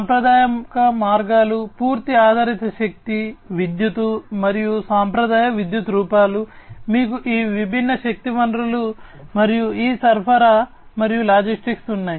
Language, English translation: Telugu, And traditional means like you know whole based energy, you know electricity, and you know traditional forms of electricity and so on, plus you have all these different energy sources plus these supply and logistics